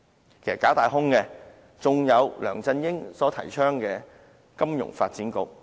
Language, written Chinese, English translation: Cantonese, 其實，假大空的還有梁振英所提倡的金融發展局。, Another false grandiose and empty institution is the Financial Services Development Council advocated by LEUNG Chun - ying